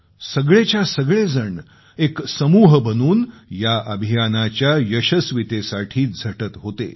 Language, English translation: Marathi, All of them came together as a team to accomplish their mission